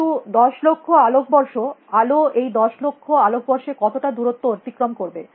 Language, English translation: Bengali, But ten billion light years, how much would the light travel in ten billion years